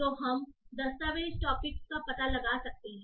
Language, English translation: Hindi, So we can find that the document topic